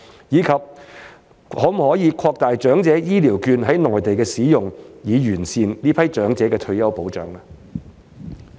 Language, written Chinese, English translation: Cantonese, 以及可否擴大長者醫療券在內地的使用，以完善這群長者的退休保障？, Moreover can the use of elderly healthcare vouchers be expanded to the Mainland so as to improve the retirement protection for this group of elderly people?